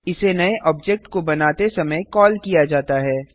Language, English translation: Hindi, It is called at the creation of new object